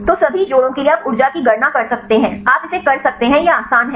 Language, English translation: Hindi, So, for all the pairs you can calculate energy you can do it, it is easy